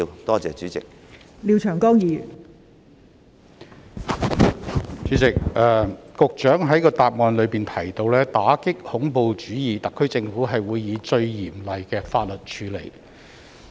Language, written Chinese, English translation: Cantonese, 代理主席，局長在主體答覆提到："打擊恐怖主義，特區政府會以最嚴厲的法律處理"。, Deputy President the Secretary mentioned in the main reply that the HKSAR Government will combat terrorism with the most stringent laws